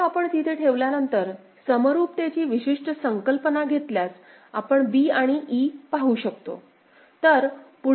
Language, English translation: Marathi, So, once we have put there and we employ that the particular concept of equivalence, we can see b and e right